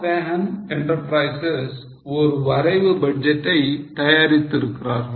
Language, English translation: Tamil, So, Satyahan Enterprises has prepared a draft budget